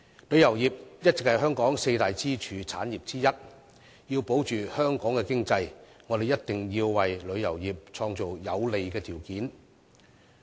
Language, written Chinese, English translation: Cantonese, 旅遊業一直是香港的四大支柱產業之一，要鞏固香港的經濟，我們必須為旅遊業創造有利的條件。, Tourism has all along been one of the four pillar industries of Hong Kong so in order to strengthen our economy we must create favourable conditions for the tourism industry